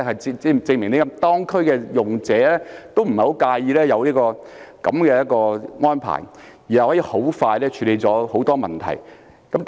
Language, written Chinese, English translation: Cantonese, 這證明當區的用者也不太介意有此安排，而這安排可以很快處理很多問題。, What I want to say is that users in the district do not oppose this arrangement which can solve a range of problems in a short time